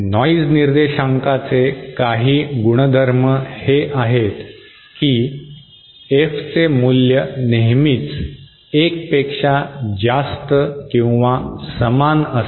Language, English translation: Marathi, Now some of the properties of noise figure are that this F is always greater than or equal to 1